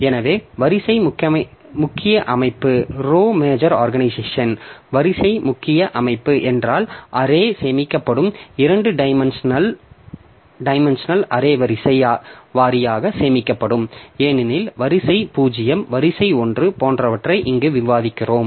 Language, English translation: Tamil, So, row major organization means the array will be stored, two dimensional array will be stored row wise as we are discussing here like row 0, row 1, so like that